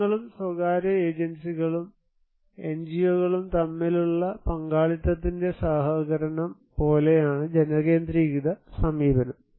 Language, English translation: Malayalam, People's centric approach is more like a collaboration of partnership between people and the private agencies or NGO’s